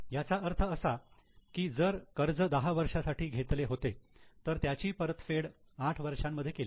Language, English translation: Marathi, That means if the loan is taken for 10 years, they have repaid it within 8 years